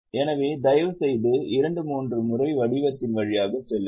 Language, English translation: Tamil, So, please go through the format two three times